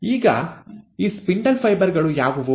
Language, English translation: Kannada, How are the spindle fibres made